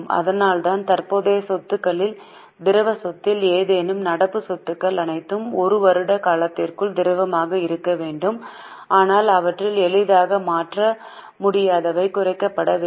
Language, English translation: Tamil, That's why any illiquid asset in the current assets, all current assets are supposed to be liquid within one year period, but of that those which cannot be easily converted, they should be reduced